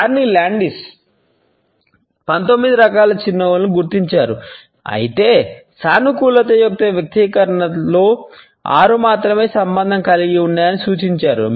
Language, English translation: Telugu, Carney Landis identified 19 different types of a smiles, but suggested that only six are associated with the expression of positivity